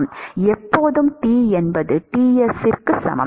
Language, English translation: Tamil, T at x is equal to 0, equal to Ts